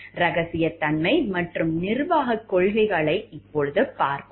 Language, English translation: Tamil, Let us look into it, confidentiality and management policies